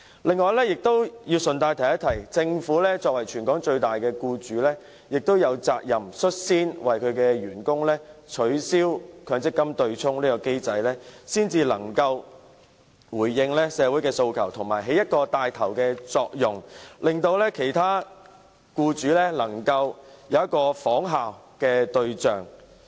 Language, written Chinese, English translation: Cantonese, 此外，我要順帶提出，政府作為全港最大僱主，亦有責任率先為其員工取消強積金對沖機制，才能回應社會訴求，同時發揮牽頭作用，作為其他僱主的仿效對象。, Incidentally I wish to point out that the Government as the biggest employer in Hong Kong is duty - bound to take the lead to abolish the MPF offsetting mechanism for its employees in order to answer social aspirations while playing the leading role of setting an example for other employers to follow